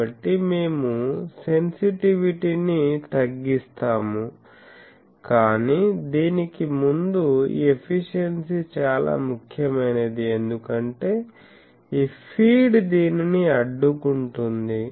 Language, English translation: Telugu, So, that we will reduce the sensitivity, but before that this efficiency that will be mattered because this feed is blocking this that is called blockage efficiency